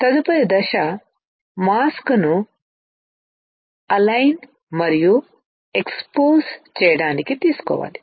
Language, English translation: Telugu, The next step is to take a mask to do the alignment and the exposure